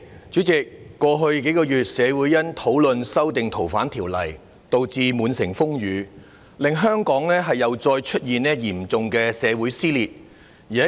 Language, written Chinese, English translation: Cantonese, 主席，在過去數個月，社會因為討論修訂《逃犯條例》導致滿城風雨，令香港又再出現嚴重的社會撕裂。, President in the past few months society has been embroiled in turmoil because of the discussions on the amendments to the Fugitive Offenders Ordinance FOO and serious rifts have again emerged in Hong Kong society